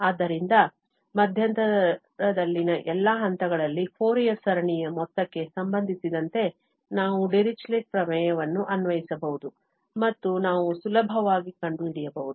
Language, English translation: Kannada, So, concerning the sum of the Fourier series at all points in the interval, we can apply Dirichlet theorem and we can easily find